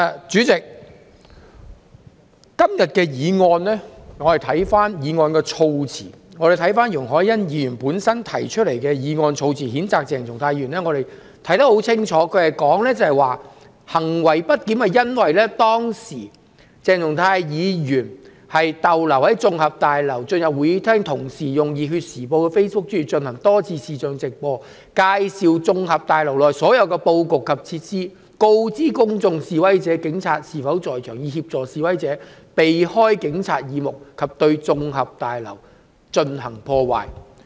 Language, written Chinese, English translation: Cantonese, 主席，我們看看今天容海恩議員提出譴責鄭松泰議員的議案，措辭當中清楚指出鄭松泰議員行為不檢是由於"鄭松泰議員逗留在綜合大樓及進入會議廳，並同時在《熱血時報》的面書專頁進行多次視像直播，介紹綜合大樓內部布局及設施，並告知公眾及示威者警察是否在場，以協助示威者避開警察耳目及對綜合大樓進行破壞。, President let us look at Ms YUNG Hoi - yans motion proposed today to censure Dr CHENG Chung - tai . The motion wording clearly spells out his misbehaviour Dr Hon CHENG Chung - tai remained in the LegCo Complex and entered the Chamber and at the same time repeatedly conducted live streams on the Facebook page of the Passion Times to introduce the internal layout and facilities of the LegCo Complex and inform the public and protesters of the presence of police officers thereby assisting the protesters to avoid Police detection and vandalize the LegCo Complex